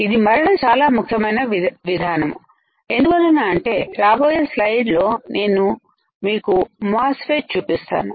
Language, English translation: Telugu, This again very important step because next slide I am going to show you the MOSFET